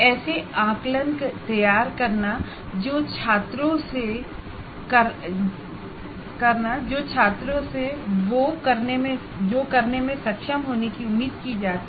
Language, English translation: Hindi, Designing assessments that are in alignment with what the students are expected to be able to do